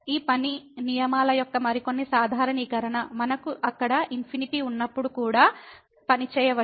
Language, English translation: Telugu, Some more generalization of these working rules, we can also work when we have infinities there